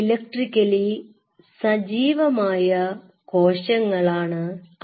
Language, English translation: Malayalam, It is a electrically active cells